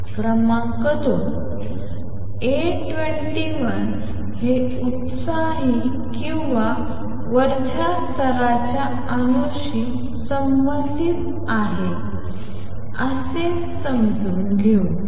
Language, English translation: Marathi, Number two, A 21 is related to the life time of an excited or upper level let us understand that how